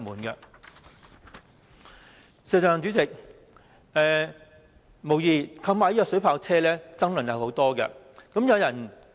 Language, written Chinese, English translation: Cantonese, 代理主席，警方購買水炮車，引起很多爭議。, Deputy President the acquisition of water cannon vehicles has aroused many controversies